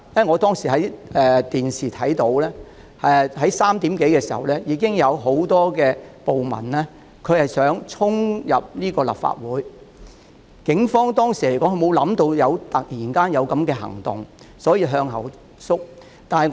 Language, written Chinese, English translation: Cantonese, 我當時從電視畫面看到 ，3 時多已有很多暴民企圖衝入立法會，警方當時沒有預計這突然的行動，所以向後退。, At that time I was watching the television and I saw on screen that many rioters were attempting to storm into the Legislative Council Complex where police officers who did not expect the sudden move had to back off